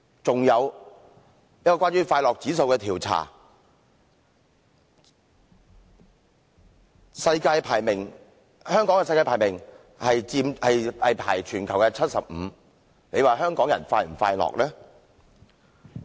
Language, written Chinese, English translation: Cantonese, 一項有關快樂指數的調查更顯示，香港在全球排名 75， 大家說香港人是否快樂呢？, A survey on a happy index even shows that Hong Kong ranked seventy - fifth in this regard . Do Members think that Hong Kong people are happy?